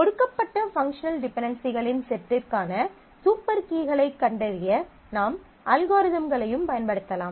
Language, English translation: Tamil, You can also use the algorithms to find super keys for a given set of functional dependencies